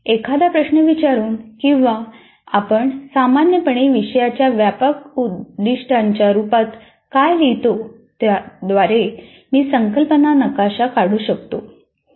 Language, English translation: Marathi, So by posing as a question or what we generally write as broad aim of the course, from there I can draw the concept map